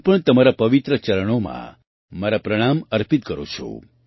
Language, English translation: Gujarati, I also offer my salutations at your holy feet